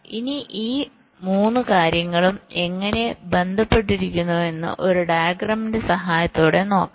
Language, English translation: Malayalam, now let us see, with the help of a diagram, how these three things are related